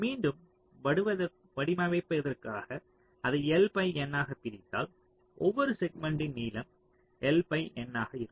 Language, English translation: Tamil, so if we divide it into l by n, so each of the segment will be of length l by n